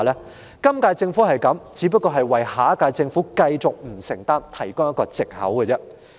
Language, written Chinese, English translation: Cantonese, 如果今屆政府也如是，就是為下屆政府可以繼續不承擔提供一個藉口。, If the Government of the current term adopts this attitude it is giving the next Government an excuse to shirk their responsibilities